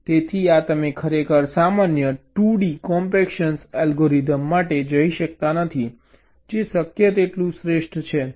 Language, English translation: Gujarati, so you really cannot go for general two d compaction algorithm, which is the best possible